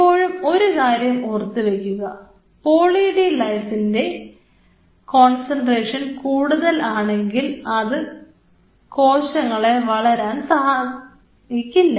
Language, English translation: Malayalam, So, always remember one catch about Poly D Lysine is that Poly D Lysine at a higher concentration does not promote cell growth